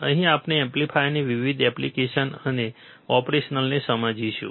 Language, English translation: Gujarati, here we will be understanding the various applications and operational of amplifiers